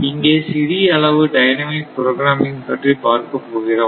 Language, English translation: Tamil, Here only little bit of dynamic programming thing we will see